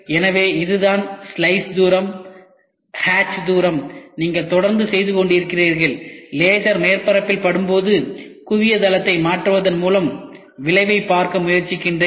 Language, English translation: Tamil, So, this is what is the slice distance, hatch distance you keep doing it and when the laser tries to hit at the surface, I try to play with changing the focal plane